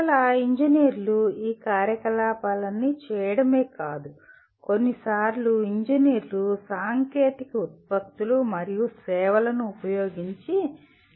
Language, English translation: Telugu, And again engineers not only perform all these activities, sometimes engineers provide services using technological products and services